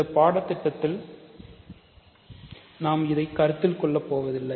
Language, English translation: Tamil, In this course, we will not consider this